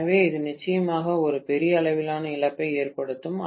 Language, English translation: Tamil, So, it would definitely entail a huge amount of loss, right